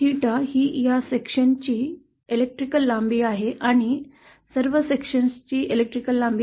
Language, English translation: Marathi, The theta is the electrical length of this section & the electrical length of all the sections